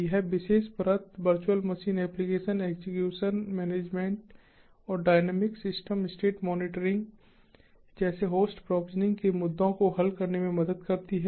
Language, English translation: Hindi, this particular layer helps in solving issues like host provisioning to virtual machines, application execution management and dynamic system state monitoring